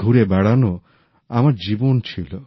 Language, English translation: Bengali, Wayfaring was my life